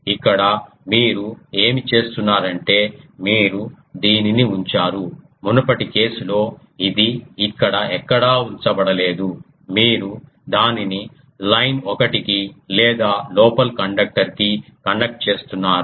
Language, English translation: Telugu, Here what you are doing you are putting that this one; in previous case it was not put anywhere here you are putting it to the that line one or the inner conductor connecting one